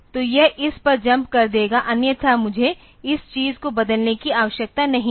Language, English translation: Hindi, So, it will be jumping over to this otherwise I do not need to change this thing